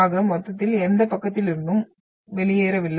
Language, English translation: Tamil, So in total, we are not left out from any side